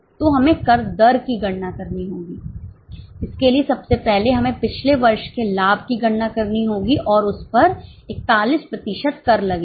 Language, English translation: Hindi, For that, first of all, we will have to calculate the profit of the last year and on that 41% tax is charged